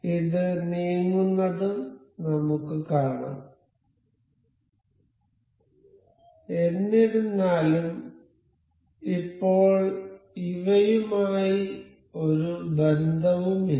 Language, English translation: Malayalam, We can see this moving and also this one however, there is no relation as of now